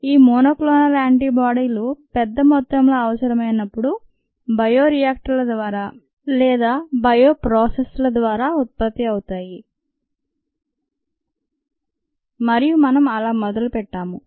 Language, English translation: Telugu, these monoclonal antibodies, when required in large amounts, are produced through by reactors or bioprocess ah, and that's how we started